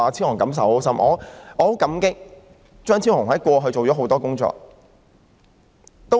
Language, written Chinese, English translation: Cantonese, 我十分感激張超雄議員過去做了多項工作。, I am very grateful to Dr Fernando CHEUNG for all his efforts over all these years